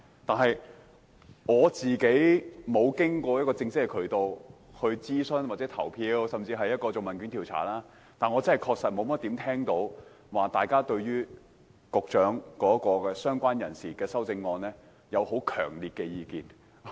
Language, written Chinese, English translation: Cantonese, 雖然我沒有參與正式的諮詢，或問卷調查，但我確實沒有怎麼聽到大家對局長提出有關"相關人士"的修正案抱持強烈的意見。, Though I did not take part in the official consultation or the questionnaire survey I definitely have not heard many strong views against the Secretarys amendment about related person